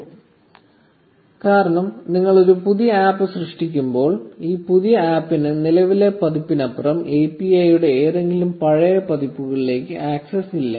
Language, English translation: Malayalam, This is because when you create a new app, this new app does not have access to any older versions of the API beyond the current version